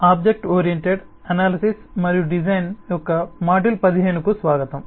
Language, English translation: Telugu, welcome to module 15 of object oriented analysis and design